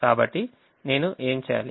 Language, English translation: Telugu, so what do i do